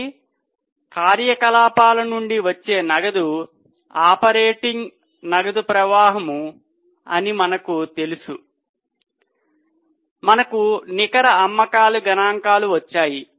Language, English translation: Telugu, So, we know the cash generated from operations is operating cash flow and we have got net sales figures